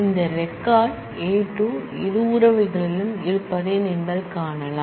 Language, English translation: Tamil, You can see that this record alpha 2 exists in both the relations